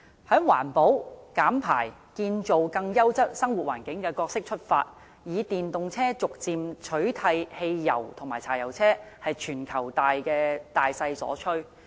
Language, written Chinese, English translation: Cantonese, 從環保、減排、建造更優質生活環境的角色出發，以電動車逐漸取替汽油和柴油車，是全球大勢所趨。, For reasons of environmental protection emissions reduction and the building of a quality living environment a step - by - step replacement of fuel - engined vehicles and diesel vehicles with EVs is by now an inevitable global trend